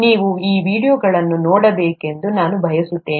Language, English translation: Kannada, I would like you to look through these videos